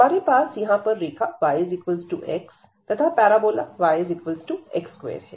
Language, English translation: Hindi, So, we have this line here and the parabola y is equal to x square